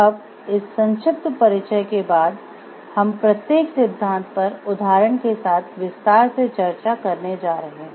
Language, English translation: Hindi, Now, after this short introduction we are going to discuss each of these theories in details with examples given for each